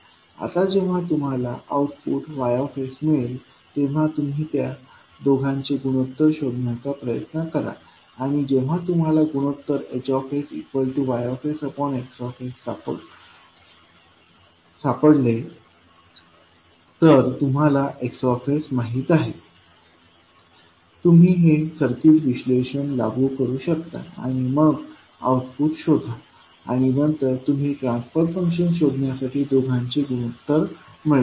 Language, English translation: Marathi, Now when you get the output Y s, then you will try to find out the ratio of the two and when you find out the ratio that is a H s equal to Y s upon X s, you know X s, you can apply the circuit analysis and find the output and then you obtain the ratio of the two to find the transfer function